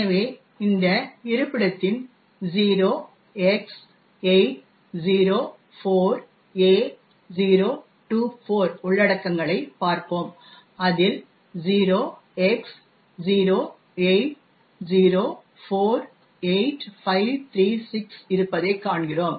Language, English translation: Tamil, 0X804A024 and we see that it contains 08048536